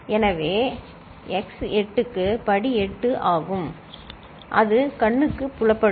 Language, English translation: Tamil, So, x to the power 8 is also, would be visible